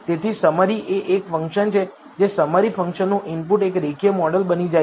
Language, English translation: Gujarati, So, summary is a function the input to the summary function becomes a linear model